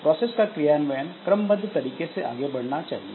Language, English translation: Hindi, And process execution must progress in sequential fashion